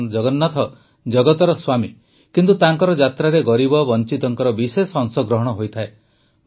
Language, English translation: Odia, Bhagwan Jagannath is the lord of the world, but the poor and downtrodden have a special participation in his journey